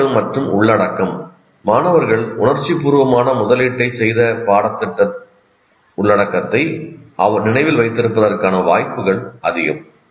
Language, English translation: Tamil, And with regard to students and content, students are much more likely to remember curriculum content in which they have made an emotional investment